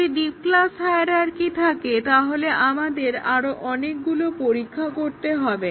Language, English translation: Bengali, If we have a deep class hierarchy we will have lot of testing to do